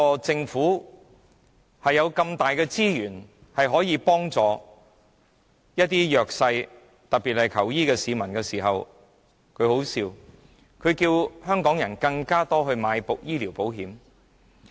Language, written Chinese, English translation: Cantonese, 政府顯然有很多資源可以幫助弱勢人士，特別是需要求醫的市民，但卻要求香港人購買更多醫療保險。, Apparently the Government has abundant resources to help the disadvantaged especially those who are in need of medical treatment but it has instead urged Hong Kong people to take out medical insurance